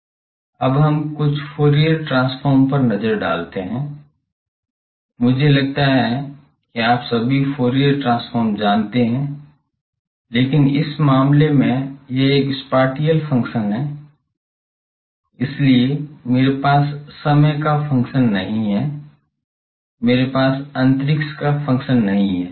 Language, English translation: Hindi, Now let us look at some Fourier transform basic, I think all of you know Fourier transform, but in this case it is a spatial function So, I do not have a function of time I do not have a function of space